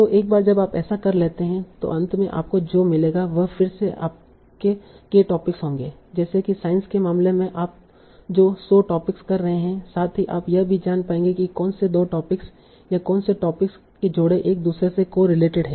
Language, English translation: Hindi, So once you have done that, finally what you will get, you will again get your K topics, right, like the 100 topics you are doing in the case of science, plus you will also know which two topics or which pair of topics are correlated with each other